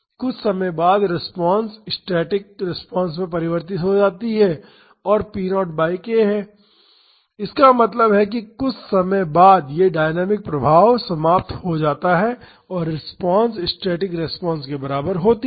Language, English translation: Hindi, After some times the response converges to the static response that is p naught by k so; that means, after some time this dynamic effects die out and the response is equal to static response